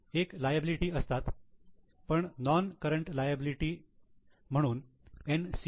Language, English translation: Marathi, So, it's a liability but a non current liability, NCL